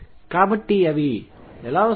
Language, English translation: Telugu, So, how do they come through